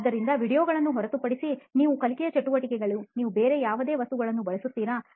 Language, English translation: Kannada, So other than videos, do you use any other material in your learning activity